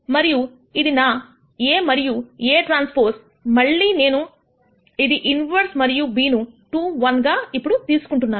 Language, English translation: Telugu, And this is my A and A transpose again I take an inverse of this and b now is 2 1